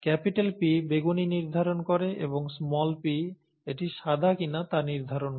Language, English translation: Bengali, The P determines the purple and the small p determines whether it is white